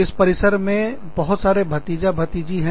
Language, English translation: Hindi, And, so many nieces and nephews, on this campus